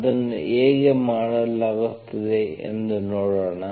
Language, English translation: Kannada, Let us see how it is done, okay